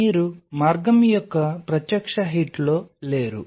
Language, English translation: Telugu, So, you are not in direct hit of the pathway